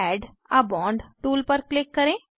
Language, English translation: Hindi, Click on Add a bond tool